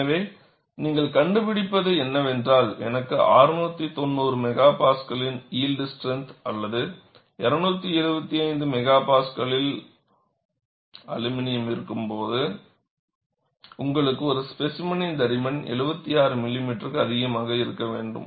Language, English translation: Tamil, So, what you find is, when I have steel of yield strength of 690 MPa or aluminum of 275 MPa, you need a specimen, thickness should be greater than 76 millimeter